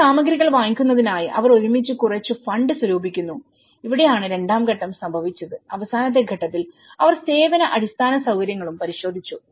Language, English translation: Malayalam, And they raise some funds together to for buying some materials and this is where the stage two have occurred and the stage two in the last stage when they are about to get so they looked into the service infrastructure as well